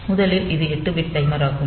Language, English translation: Tamil, So, first of all it is an 8 bit timer